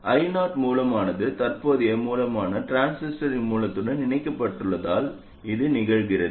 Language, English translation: Tamil, This happens because I 0 the source, the current source is connected to the source of the transistor